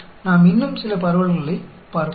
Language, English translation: Tamil, Now, let us look at some more distributions